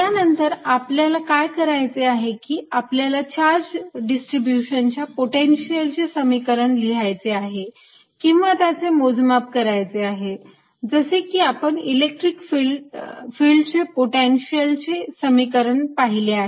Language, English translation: Marathi, next, what we want to do is calculate or right down expression for potential for a charge distribution obtained, an equation, just like the electric field equations for the potential